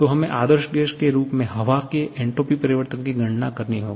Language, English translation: Hindi, So, we have to calculate the entropy change of air assuming to ideal gas